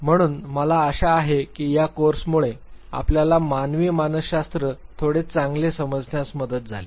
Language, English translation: Marathi, So, I hope this course helped you to understand human psychology little better